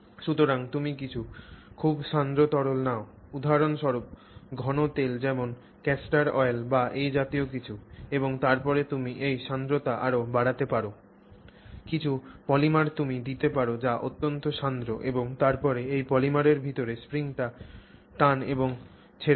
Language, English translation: Bengali, So, you take some very viscous liquid, I mean it could for example even be well there some kind of an oil that you put there some thick oil that you put there say castor oil, some such thing and then you can increase the viscosity, some polymer you put which is highly viscous polymer and you pull the spring inside this polymer and release it